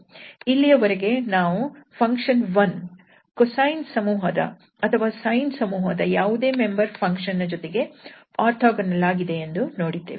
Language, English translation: Kannada, So, this at least we have seen that with 1 we can take any member of the cosine family or any member of the sine family and these are orthogonal